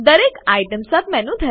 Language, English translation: Gujarati, Each item has a Submenu